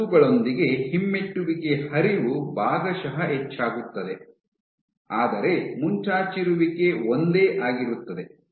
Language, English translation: Kannada, So, you have this filament your retrograde flow is partially increased, but your protrusion remains the same